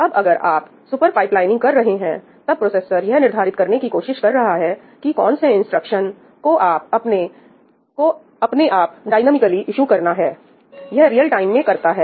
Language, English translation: Hindi, Again, when you are doing super pipelining, when the processor is trying to determine which instructions to issue dynamically, by itself , it is doing this in real time